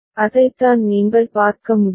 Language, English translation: Tamil, That is what you can see